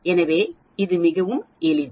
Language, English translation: Tamil, So it is quite simple